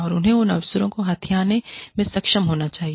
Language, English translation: Hindi, And, they need to be able to grab, those opportunities